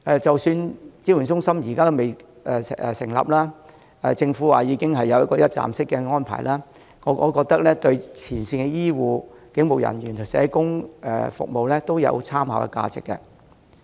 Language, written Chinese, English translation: Cantonese, 即使支援中心尚未成立，而政府又表示已有一個一站式安排，我覺得這份《指引》對前線醫護、警務人員和社工都有參考價值。, Even though no support centre has been set up yet and the Government claims that a one - stop arrangement is already available I still consider the Guidelines a useful reference for the frontline medical personnel police officers and social workers